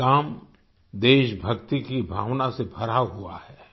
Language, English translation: Hindi, This work is brimming with the sentiment of patriotism